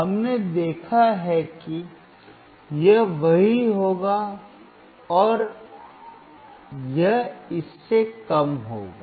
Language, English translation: Hindi, We have seen that, this would be same, and this would be less than